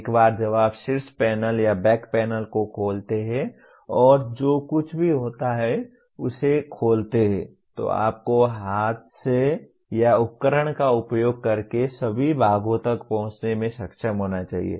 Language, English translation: Hindi, Once you open that by opening the top panel or back panel and whatever it is, then you should be able to reach all parts by hand or using tools